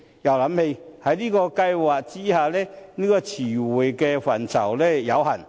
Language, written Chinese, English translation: Cantonese, 然而，這兩個計劃下的詞彙範疇均有限。, However the scope of the glossary under these two projects is limited